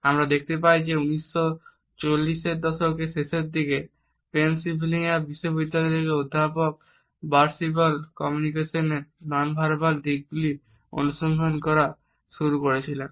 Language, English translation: Bengali, We find that it was in the 1940s rather late 1940s that at the university of Pennsylvania professor Ray Birdwhistell is started looking at the nonverbal aspects of communication